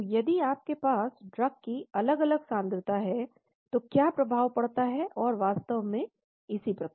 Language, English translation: Hindi, So if you have different concentrations of drug what is the effect and so on actually